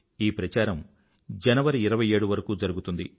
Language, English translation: Telugu, These campaigns will last till Jan 27th